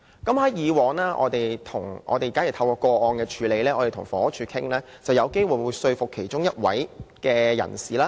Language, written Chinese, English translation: Cantonese, 在處理個案的過程中，我們與房屋署商討，有機會能說服其中一方遷出。, In handling such cases we would discuss with the Housing Department to possibly persuade one party to move out